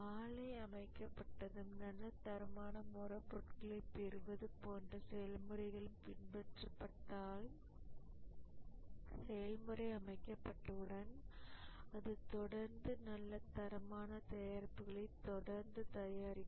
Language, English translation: Tamil, And once the plant has been set up and process is followed, like getting good quality raw material and so on, it will keep on continuing to produce good quality products once the process has been set up